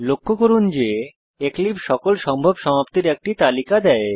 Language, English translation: Bengali, Notice that eclipse gives a list of all the possible completions